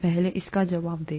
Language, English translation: Hindi, Let’s answer that first